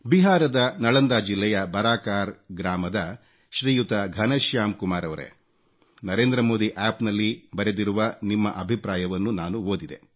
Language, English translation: Kannada, Shriman Ghanshyam Kumar ji of Village Baraakar, District Nalanda, Bihar I read your comments written on the Narendra Modi App